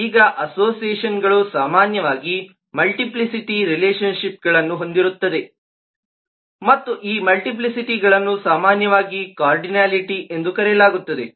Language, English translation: Kannada, now associations often will have multiplicity of relationship and these multiplicities known typically as a cardinality